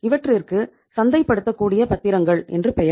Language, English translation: Tamil, They are called as marketable securities